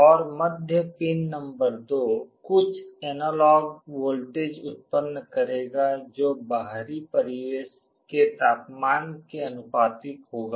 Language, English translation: Hindi, And the middle pin number 2 will be generating some analog voltage that will be proportional to the external ambient temperature